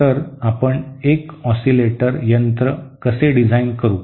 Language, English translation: Marathi, So how do we design an oscillator